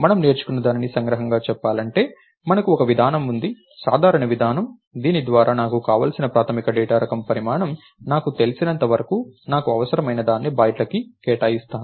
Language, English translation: Telugu, So, in in so to summarise what we have is we have a mechanism, a general mechanism by which as long as I know the size of the basic data type that I want, I will allocate bytes as many as I need